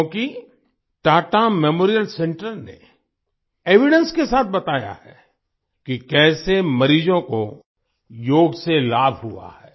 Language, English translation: Hindi, Because, Tata Memorial center has conveyed with evidence how patients have benefited from Yoga